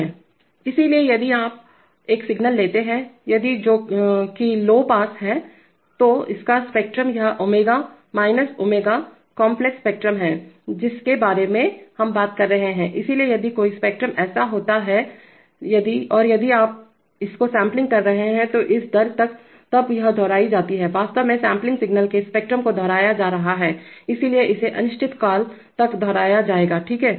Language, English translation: Hindi, So if you, if you take a signal which is, which is low pass, so its spectrum, this is omega, minus omega, complex spectrum we are talking about, so if a spectrum is like this then and if you are sampling it at this rate then it gets repeated, actually the spectrum of the sampled signal is going to be repeated, so it will be repeated repeating indefinitely, okay